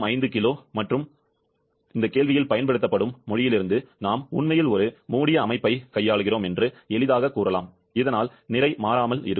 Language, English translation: Tamil, 05 kg and from the language that is used in the question, we can easily say that we are dealing actually a closed system, so that the mass remains constant